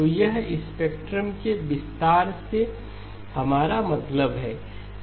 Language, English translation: Hindi, So this is what we mean by stretching of the spectrum